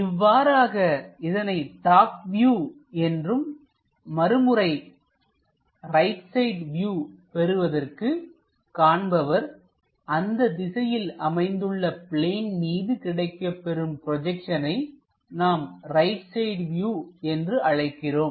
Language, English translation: Tamil, As this we call as top view and again, for the right side view, he has to come to that direction, look on that plane whatever it is projected, he is going to get that is what we call right side view